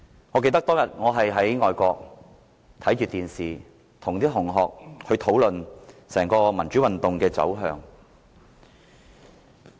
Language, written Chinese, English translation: Cantonese, 我記得當天我在外國一邊看電視，一邊與同學討論整場民主運動的走向。, I remember I was abroad on that day watching television and discussing with my school - mates about the direction of the democratic movement